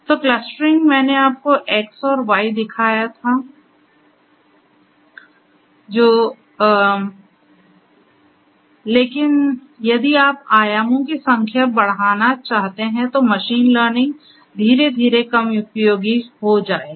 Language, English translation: Hindi, So, clustering I have shown you x and y that is fine, but if you want to increase the number of dimensions then machine learning will gradually become less useful